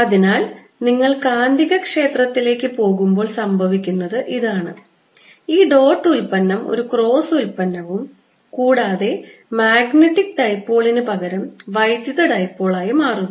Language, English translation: Malayalam, so what is happening when you go to magnetic field is this dot product is getting replaced by a cross product and instead of the magnetic dipole electric dipole